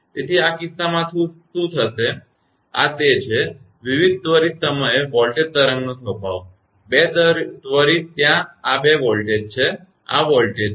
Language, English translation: Gujarati, So, in this case what will happen that this is that, disposition of the voltage wave at various instant, two instants are there this is a voltage this is voltages